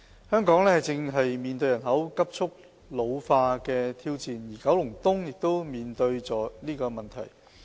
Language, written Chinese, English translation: Cantonese, 香港正面對人口急速老化的挑戰，而九龍東亦面對這個問題。, Hong Kong is currently facing the challenges posed by a rapidly ageing population and so is Kowloon East